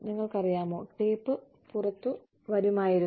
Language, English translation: Malayalam, And, they would, you know, the tape would come out